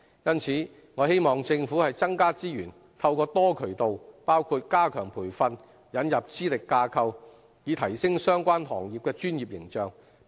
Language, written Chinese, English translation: Cantonese, 因此，我希望政府增加資源，透過多渠道，包括加強培訓，引入資歷架構，以提升相關行業的專業形象。, Hence I hope the Government will increase resources for enhancing the professional images of these trades and industries through various channels including the enhancement of professional training and the implementation of qualifications framework